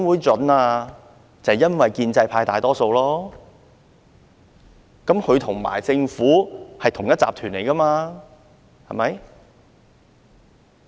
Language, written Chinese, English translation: Cantonese, 就是因為建制派議員佔大多數，他們與政府可是同一夥的呢，對嗎？, Just because the pro - establishment Members are the majority in LCC and is it not the truth that those Members and the Government are actually in the same group?